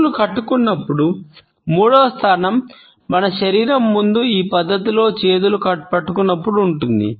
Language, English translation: Telugu, The third position of clenched hands can be when we are holding hands in this manner in front of our body